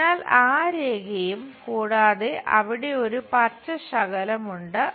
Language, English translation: Malayalam, So, that line and there is a green patch